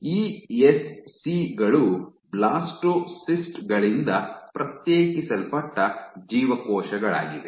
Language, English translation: Kannada, ESCs are cells which are isolated from the Blastocysts